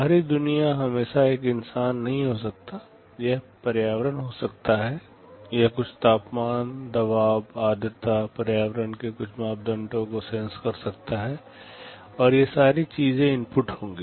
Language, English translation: Hindi, The outside world may not always be a human being, it may be environment, it senses some temperature, pressure, humidity some parameters of the environment, and those will be the inputs